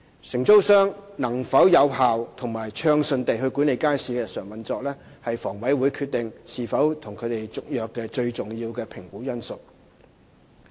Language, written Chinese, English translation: Cantonese, 承租商能否有效及暢順地管理街市的日常運作，是房委會決定是否與其續約的最重要評估因素。, Whether the daily operation of the market has been effectively and smoothly discharged by the single operator is the most important factor in HAs consideration as to whether or not to award a renewal of tenancy